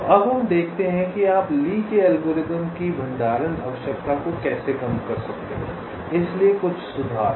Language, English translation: Hindi, so now we see that how you can reduce the storage requirement of the lees algorithm, show some improvements